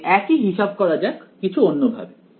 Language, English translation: Bengali, Now let us do the same calculation in a slightly different way